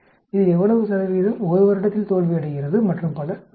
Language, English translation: Tamil, How much percentage of this fails in 1 year and so on actually